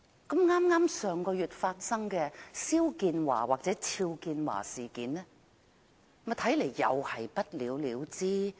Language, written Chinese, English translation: Cantonese, 剛在上月發生的肖建華事件，看來又會不了了之。, It seems that the incident involving XIAO Jianhua last month will be left unsettled too